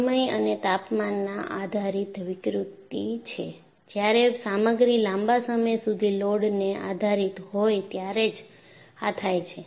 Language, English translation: Gujarati, It is a time and temperature dependent deformation, which occurs when a material is subjected to load for a prolonged period of time